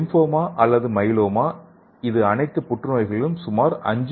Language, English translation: Tamil, And lymphoma and myeloma this is constituting like approximately 5